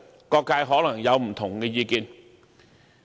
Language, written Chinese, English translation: Cantonese, 各界可能便會有不同意見。, Various sectors may have different views